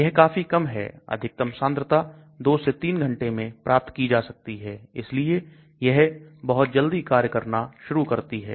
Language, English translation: Hindi, maximum concentration is achieved in 2 to 3 hours so it starts acting very fast